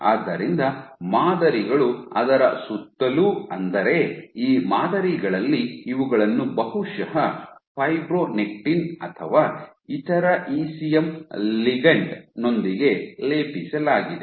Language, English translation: Kannada, So, patterns I mean that around it, so, on these patterns these are probably coated with fibronectin or some other ECM ligand